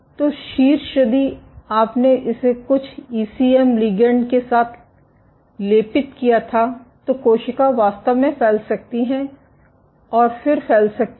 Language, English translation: Hindi, So, the top if you had coated it with some ECM ligand then the cell can actually spread and then exert